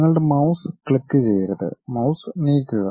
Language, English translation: Malayalam, You should not click anything just move your mouse